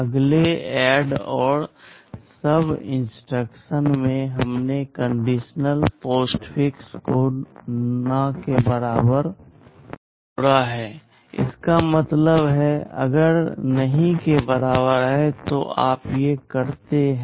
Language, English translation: Hindi, In the next ADD and SUB instructions we have added the conditional postfix not equal to; that means, if not equal to then you do these